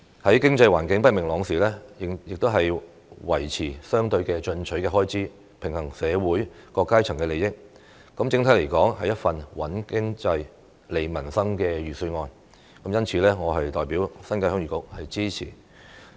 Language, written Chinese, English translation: Cantonese, 在經濟環境不明朗時，仍維持相對進取的開支，平衡社會各階層的利益，整體來說是一份"穩經濟、利民生"的預算案，因此我代表新界鄉議局表示支持。, Despite an uncertain economic environment the Budget still maintains relatively aggressive expenditure to balance the interests of various social strata . In general it is a Budget that stabilizes the economy and strengthens livelihoods . As such I will support it on behalf of the New Territories Heung Yee Kuk